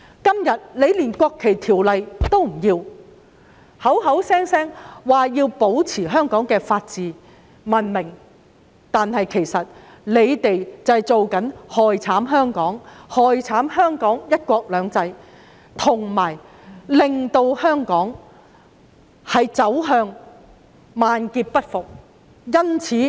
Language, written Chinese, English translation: Cantonese, 今天，反對派不肯通過《條例草案》，口口聲聲說要保持香港的法治及文明，但其實卻是在害慘香港，害慘香港"一國兩制"，令香港萬劫不復。, Today the opposition camp refuses to pass the Bill vowing that they have to safeguard Hong Kongs rule of law and civilization . And yet the fact is they are actually causing harm to Hong Kong and ruining the principle of one country two systems thereby plunging Hong Kong into the dark abyss of destruction